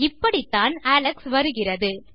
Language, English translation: Tamil, This is how Alex appears